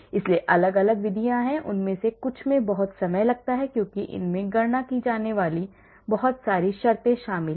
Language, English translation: Hindi, So, different methods are there some of them are very time consuming because it involves a lot of terms to be calculated